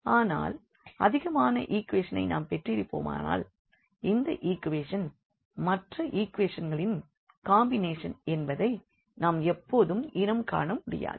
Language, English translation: Tamil, But, when we have more equations and this is not always the case that we can identify that which equation is a combination of the others for example, example